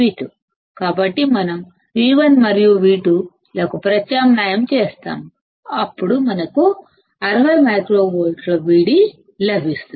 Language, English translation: Telugu, So, we will substitute for V1 and V2; we get V d which is about 60 microvolts